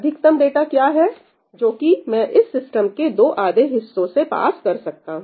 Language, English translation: Hindi, What is the maximum amount of data I can pass through 2 halves of this system